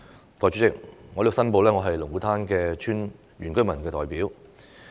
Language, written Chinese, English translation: Cantonese, 代理主席，我在此申報，我是龍鼓灘村的原居民代表。, Deputy President I hereby declare that I am a representative of the indigenous inhabitants of Lung Kwu Tan Village